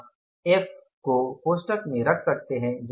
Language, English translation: Hindi, You can put the F in the bracket